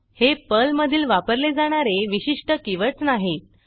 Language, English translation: Marathi, These are not the special keywords used by Perl